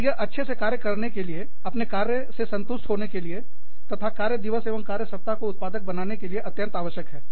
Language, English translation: Hindi, And, that is absolutely essential, to working well, to being satisfied, with our work, and to a productive work day, work week